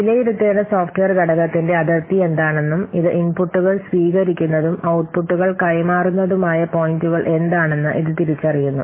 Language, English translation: Malayalam, So this identifies what will the boundary of the software component that has to be assessed and thus the points at which it receives inputs and transmits outputs